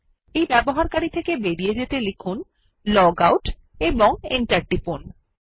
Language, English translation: Bengali, To logout from this user, type logout and hit Enter